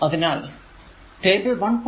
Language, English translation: Malayalam, So, table 1